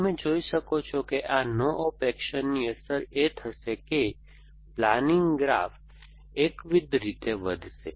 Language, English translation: Gujarati, You can see the effect of this no op actions is going to be that the planning graph is going to grow monotonically